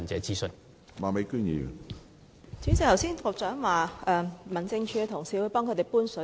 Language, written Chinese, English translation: Cantonese, 主席，局長剛才說民政署的同事會為村民搬水。, President the Secretary said just now colleagues from HAD will help villagers transport water